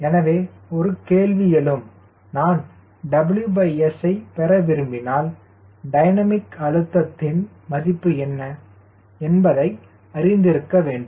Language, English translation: Tamil, so comes, if i want to get w by s, i i need to know what is the dynamic pressure